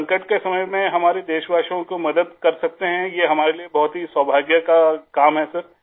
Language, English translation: Urdu, Sir we are fortunate to be able to help our countrymen at this moment of crisis